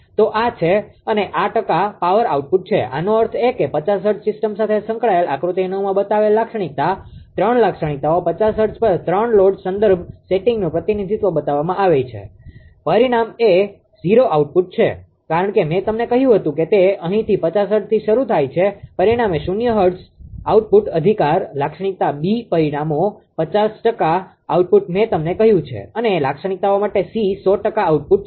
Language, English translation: Gujarati, So, this is and this is the percent power output so; that means, the characteristic shown in figure 9 associated with 50 hertz system, 3 characteristic as shown representing 3 load reference settings at 50 has the characteristic a result is 0 output, because that I told you that it starting from here at 50 hertz it is resulting 0 output right, characteristic B results 50 percent output I told you and, for characteristics C there is 100 percent output